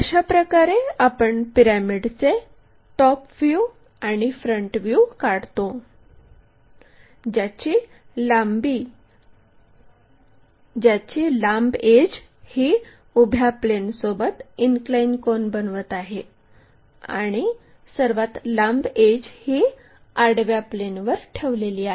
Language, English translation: Marathi, This is the way we construct this top, this is the top view and this is the front view of a pyramid whose longer edge is making an inclined angle with the vertical plane and is longest edges resting on the horizontal plane also